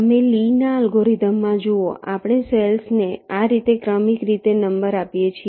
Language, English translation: Gujarati, you see, in a lees algorithm we are numbering the cells consecutively like this